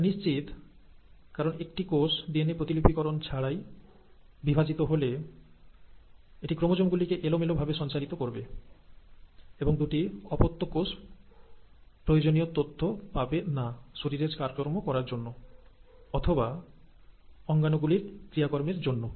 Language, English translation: Bengali, And it is very obvious because if a cell without even duplicating its DNA is going to divide, it is just going to pass on the chromosomes in a very arbitrary fashion and the two daughter cells will not receive all the necessary information to do the body functions or the organelle function